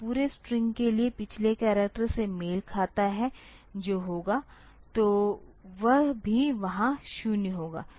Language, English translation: Hindi, So for the entire string matched the last character that will have; so, that will also have a 0 there